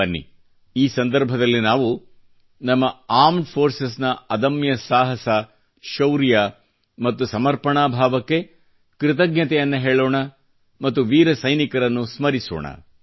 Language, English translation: Kannada, On this occasion, let us express our gratitude for the indomitable courage, valour and spirit of dedication of our Armed Forces and remember the brave soldiers